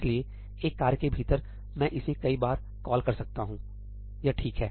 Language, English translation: Hindi, So, within a task, I could call it multiple times, that is okay